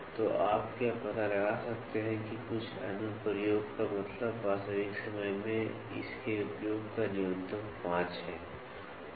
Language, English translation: Hindi, So, can you find out some application, some application means minimum 5 of its usage in real time